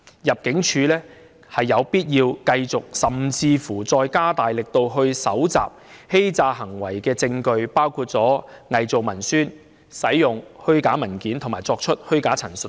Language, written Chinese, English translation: Cantonese, 入境處有必要繼續，甚至加大力度搜集與假結婚相關的欺詐行為的證據，包括偽造文書、使用虛假文件及作出虛假陳述等。, It is necessary for ImmD to continue with or even step up its efforts in collecting evidence of fraudulent acts related to bogus marriages including forgery of documents using false documents making false representation etc